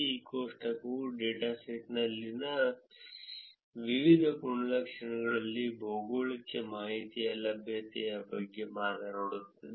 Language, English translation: Kannada, This table talks about availability of geographic information in various attributes in the datasets